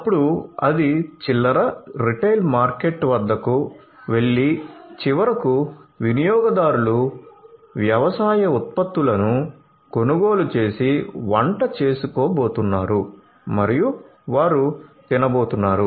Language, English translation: Telugu, Then it goes to the retailer, the retail market and finally, the consumers are going to buy and cook the produce the agricultural produce and they are going to consume